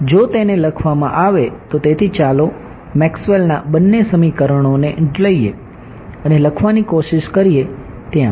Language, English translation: Gujarati, So, let us let us write it out so, let us take both are Maxwell’s equations and try to write out what happenes right